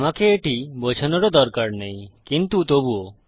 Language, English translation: Bengali, I dont even need to explain it but anyway